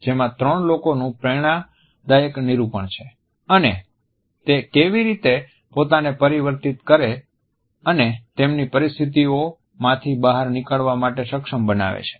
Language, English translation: Gujarati, It is an inspiring depiction of three people and how they are able to transform themselves and overcome their situations